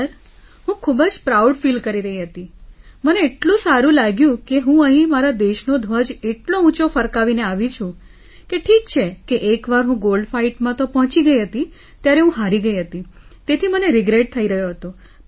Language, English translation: Gujarati, Sir, I was feeling very proud, I was feeling so good that I had returned with my country's flag hoisted so high… it is okay that once I had reached the Gold Fight, I had lost it and was regretting it